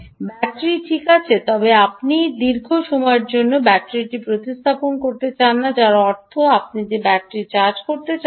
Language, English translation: Bengali, battery is fine, but you don't want to replace the battery for a long duration, which means you may want to keep charging the battery